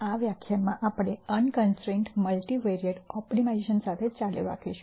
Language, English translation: Gujarati, In this lecture we will continue with Unconstrained Multivariate Optimiza tion